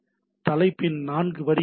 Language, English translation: Tamil, There are four lines of the header